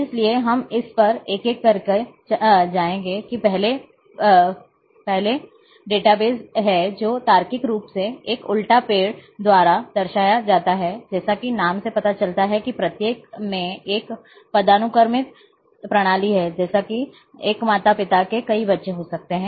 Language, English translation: Hindi, So, we will go one by one on this that first is hierarchical database which is logically represented by an upside down tree as name implies there is a hierarchical system each parent can have many children